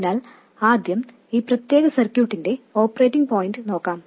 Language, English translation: Malayalam, So first let's look at the operating point of this particular circuit